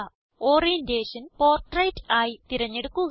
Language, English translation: Malayalam, Choose Orientation as Portrait